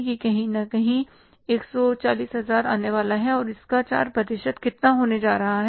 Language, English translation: Hindi, That is going to be somewhere say 140,000s and how much is going to be 4% that is 28,000s